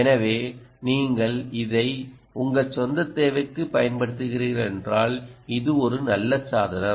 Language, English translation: Tamil, so if you are using it for some of your own personal requirement, hm, this is a nice device that you can